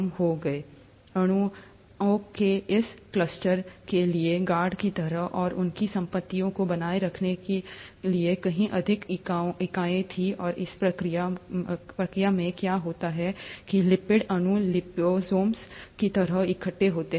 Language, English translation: Hindi, There was far more entity for these cluster of molecules to kind of guard and maintain their properties, and in the process what would have happened is that lipid molecules would have assembled like liposomes